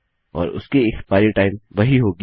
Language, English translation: Hindi, And thatll have the same expiry time